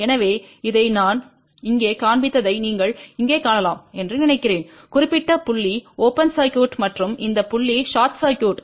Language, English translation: Tamil, So, just to tell you suppose this is the point you can see over here I have shown here this particular point as open circuit and this point as short circuit